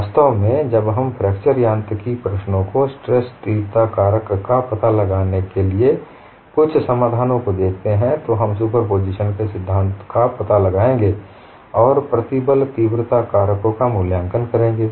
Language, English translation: Hindi, In fact when we look at certain solutions for finding out, stress intensity factor in fracture mechanics problems, we would employ principle of superposition and evaluate the stress intensity factors